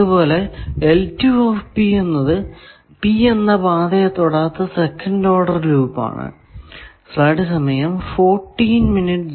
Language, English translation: Malayalam, Similarly, L 2 P, second order loop not touching path P, etcetera